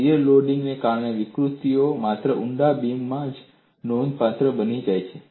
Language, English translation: Gujarati, The deformations due to shear loading become significant only in deep beams